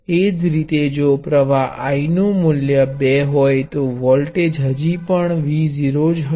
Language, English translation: Gujarati, Similarly, if the current were a different value I 2, voltage would still be V naught